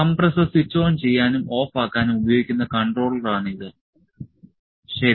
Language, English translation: Malayalam, So, this is the controller, this is the controller that is used to switch on and off the compressor, ok